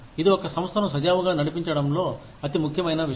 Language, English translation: Telugu, This is, the single most important thing, in running an organization, smoothly